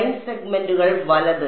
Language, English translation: Malayalam, Line segments right